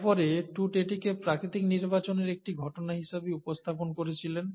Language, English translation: Bengali, So this was then presented by Tutt as a case of natural selection